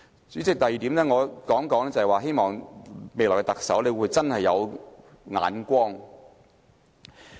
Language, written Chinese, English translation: Cantonese, 主席，第二點我要說的是，希望未來特首真的有眼光。, President the second point is that I hope the coming Chief Executive will have some real insight